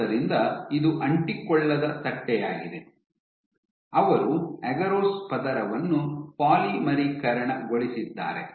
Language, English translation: Kannada, So, this is a non adherent plate, they polymerized a layer of agarose